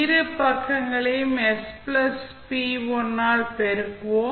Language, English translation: Tamil, So, what we will do first, we will multiply both side by s plus p1